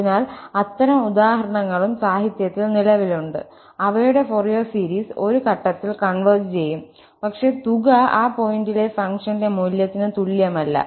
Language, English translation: Malayalam, So, there are such examples as well which exist in the literature whose Fourier series converges at a point, but the sum is not equal to the value of the function at that point